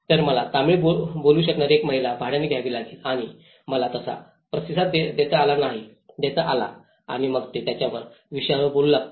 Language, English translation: Marathi, So, I have to hire one lady who can speak Tamil and I could able to respond so and then they start speaking about their issues